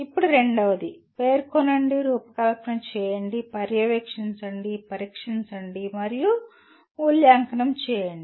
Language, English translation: Telugu, Now second one, specify, design, supervise, test, and evaluate